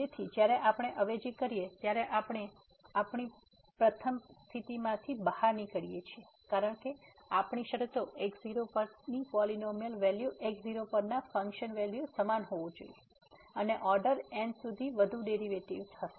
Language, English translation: Gujarati, So, having this what we get out of the first condition when we substitute because, our conditions is the polynomial value at must be equal to the function value at and further derivatives upto order n